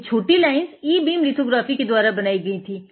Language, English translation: Hindi, You can on; this can only be made using e beam lithography